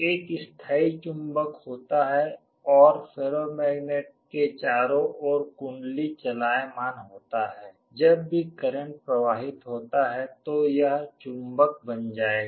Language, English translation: Hindi, There is a permanent magnet and the coil around the ferromagnet is movable, whenever there is a current flowing this will become a magnet